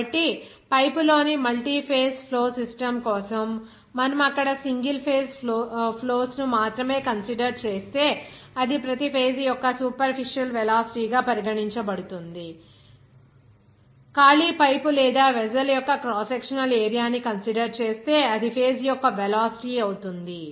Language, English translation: Telugu, So, for multiphase flow system in a pipe, if you are considering only single phase flows there, then it will be regarded as the superficial velocity of each phases if you are considering that cross sectional area of the empty pipe or vessel and it is the velocity of the phase